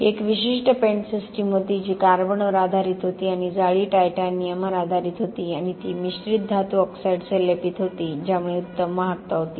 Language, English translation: Marathi, It was a particular paint system which was based on carbon and a mesh that was titanium based and was coated with mixed metal oxide to allow better conductivity